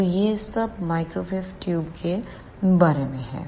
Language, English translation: Hindi, So, this is all about the microwave tubes